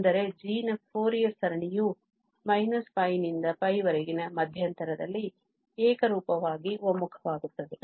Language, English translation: Kannada, That means the Fourier series of f will converge indeed uniformly to, on this interval minus pi to pi